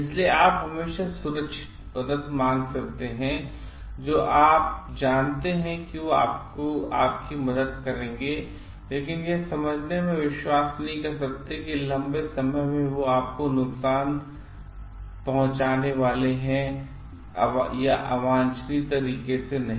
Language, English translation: Hindi, So, you can always extend secure help you know like they will help you, but you may not be confident in understanding whether in the long run they are going to harm you or not in a undesirable way